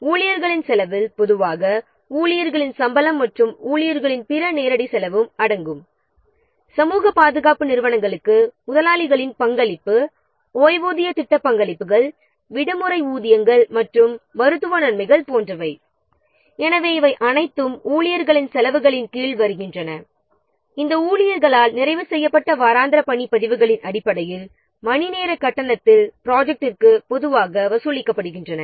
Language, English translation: Tamil, Staff cost will normally include the staff salaries as well as other direct costs of the employees such as employers contribution to social security funds pension scheme contributions holiday pay and sickness benefit I mean medical benefit etc so these are all coming under staff costs these are commonly charged to the project at our rates based on weekly work records of the completed by the staff and over rates